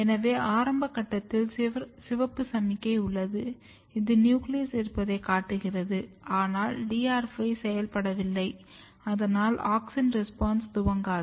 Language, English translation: Tamil, So, at very early stage you can see here that you have only red signal means you have nucleus, but there is no DR5 activity yet there is no auxin response initiated that is why you have red cells